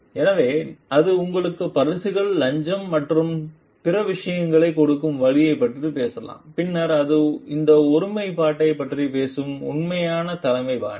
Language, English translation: Tamil, So, it may talk like take the route of giving you gifts bribes and other things then it talks of this integrity genuineness authentic leadership style